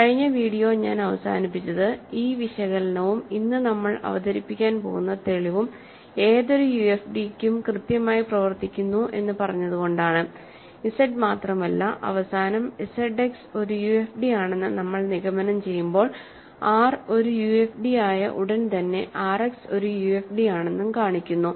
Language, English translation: Malayalam, And I ended the last video by the remark that, this analysis and the proof that we are going to present today works exactly in the same way for any UFD R, not just Z and at the end when we conclude Z X is a UFD that analysis also shows that R X is a UFD as soon as R is a UFD